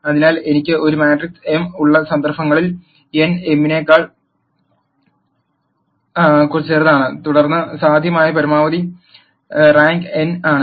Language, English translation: Malayalam, So, in cases where I have A matrix m by n, where n is smaller than m, then the maximum rank that is possible is n